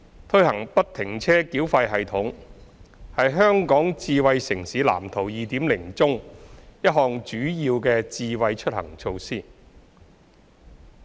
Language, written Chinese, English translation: Cantonese, 推行不停車繳費系統是《香港智慧城市藍圖 2.0》中一項主要的"智慧出行"措施。, Implementation of the free - flow tolling system FFTS is a major Smart Mobility initiative set out in the Smart City Blueprint for Hong Kong 2.0